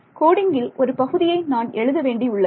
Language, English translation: Tamil, So, that is a part of code which I have to write